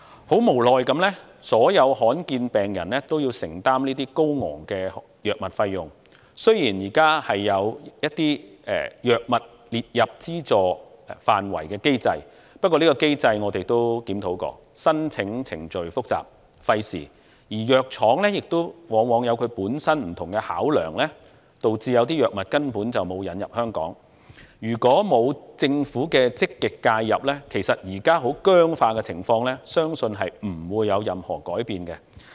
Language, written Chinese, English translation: Cantonese, 很無奈地，所有罕見疾病病人也要承擔高昂的藥物費用，雖然現在有將若干藥物列入資助範圍的機制，但我們曾研究有關機制，發覺申請程序複雜、費時，而藥廠往往有其本身不同的考量，導致有些藥物根本沒有引入香港；如果沒有政府的積極介入，相信目前僵化的情況不會有任何改變。, Although there is already a mechanism to include certain drugs under the scope of subsidy as we found in our study on the mechanism the application procedures are complicated and time - consuming . Besides the drug manufacturers usually have their own different considerations and as a result some drugs basically cannot be introduced into Hong Kong . Without positive intervention by the Government I think the present rigidities will not undergo any changes